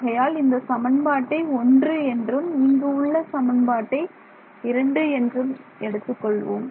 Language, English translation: Tamil, So, let us call this equation 1 and this is now equation 2